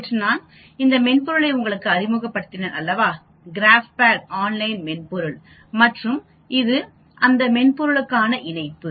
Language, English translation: Tamil, Yesterday I introduced this software called Graph pad online software and this is the link for that software